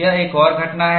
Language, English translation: Hindi, This is another phenomena